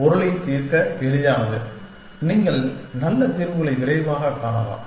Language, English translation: Tamil, Easier to solve meaning, you can find good solutions faster